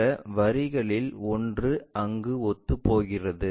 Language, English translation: Tamil, And one of these line coincides there